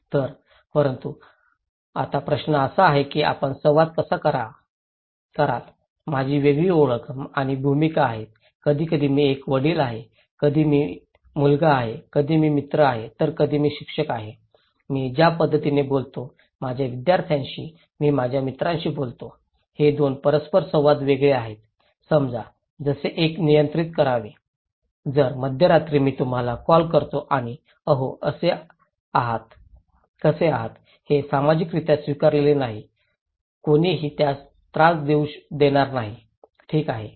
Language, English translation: Marathi, So, but then now question is that how do you make interactions, I have different identity and roles, sometimes I am a father, sometimes I am a son, sometimes I am a friend, sometimes I am a teacher so, the way I talk to my students, I talked to my friends, these 2 interactions are different so, how to control like suppose, if at the middle of the night, I call you and say hey, hello how are you, well this is not socially accepted, nobody would bother that one, okay